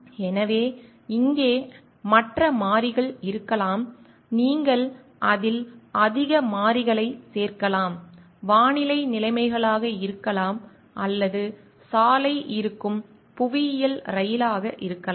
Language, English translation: Tamil, So, here can be other variables you can go on adding more variables to it, may be the weather conditions or maybe the geographical train through which the road is there